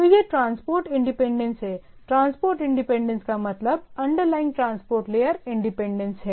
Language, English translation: Hindi, So and it is transport independence, transport independence means underlying transport layer independence